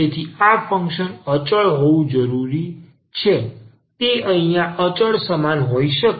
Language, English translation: Gujarati, So, this function must be constant can be equal to the constant here